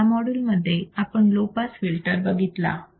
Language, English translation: Marathi, So, in this particular module, we have seen low pass filter